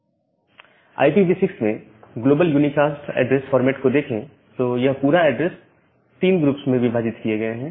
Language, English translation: Hindi, Now the global unicast address format in IPv6 this entire address is divided into 3 groups